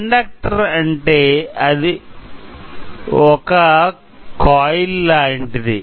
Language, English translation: Telugu, Inductor is nothing but something like a coil